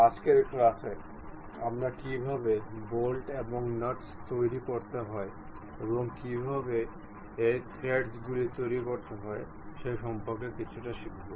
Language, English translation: Bengali, In today's class, we will learn little bit about how to make bolts and nuts, how to construct these threads